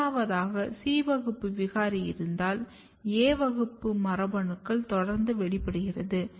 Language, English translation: Tamil, Third important thing if you have C class mutant gene what happens that A class gene will now continue expressing here